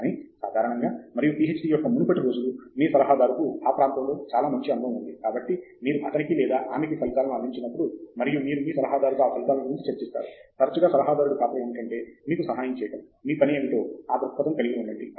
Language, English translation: Telugu, But, in general, and the earlier days of a PhD, your advisor has a lot of experience in that area, and so, when you present results to him or her, and you discuss the results with your advisor, often the advisor’s role is to help you have perspective on what your work is